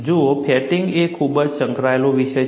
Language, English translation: Gujarati, See, fatigue is a very very involved subject